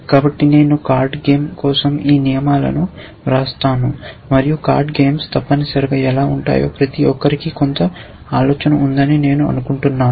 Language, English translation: Telugu, So, I will write these rules for a card game and I assume that everybody has some in cling of what card games are like essentially